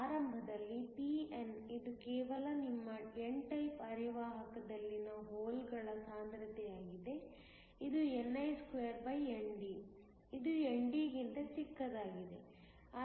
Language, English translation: Kannada, Initially, Pno, which is just the concentration of holes in your n type semiconductor is ni2ND, which is much smaller than ND